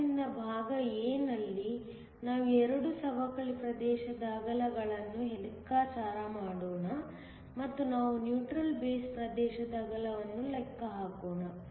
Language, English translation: Kannada, So, in part a, we want to calculate the 2 depletion region widths, and we also want to calculate the width of the neutral base region